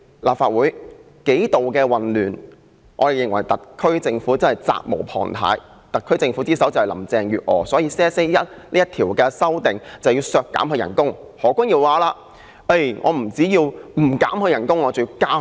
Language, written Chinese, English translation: Cantonese, 立法會為此數度出現混亂，我們認為特區政府是責無旁貸，而特區之首是林鄭月娥，所以修正案編號1就是要削減她的薪酬。, We hold that the SAR Government is responsible for the several chaotic incidents which took place in the Legislative Council because of the Bill . The head of the SAR Government is Carrie LAM that is why we propose to slash her salary in Amendment No . 1